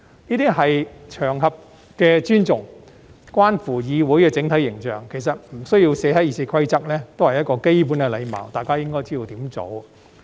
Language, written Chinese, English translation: Cantonese, 這些是對場合的尊重，關乎議會的整體形象，其實不需要寫在《議事規則》也是基本的禮貌，大家應該知道怎樣做。, This is to show respect for the occasion and has a bearing on the overall image of the parliamentary assembly . It is a basic courtesy that actually does not need to be written in RoP for Members should know what to do